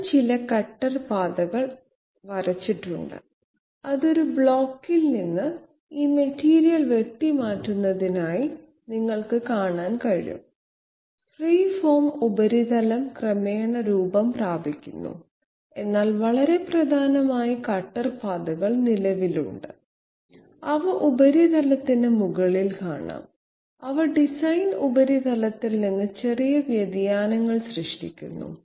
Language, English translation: Malayalam, I have drawn some cutter paths, you can see that it is cutting out this material from a block, the 3 the what you call it, the free form surface is gradually taking shape but very prominently the cutter paths are existing, they can be seen on top of the surface and they are creating minor deviations minor deviations from the design surface